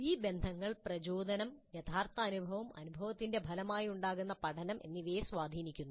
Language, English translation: Malayalam, These relationships influence the motivation, the actual experience and the learning that results from the experience